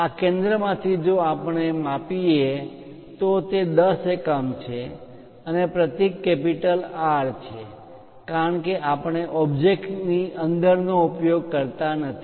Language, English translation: Gujarati, From this center if I am measuring that it is of 10 units and symbol is R because we do not use inside of the object